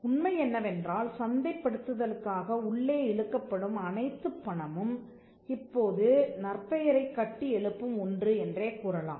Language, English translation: Tamil, The fact that, all the money that is pulled in for marketing can now be attributed as something that goes towards building the reputation